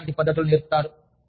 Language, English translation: Telugu, Teach you, relaxation techniques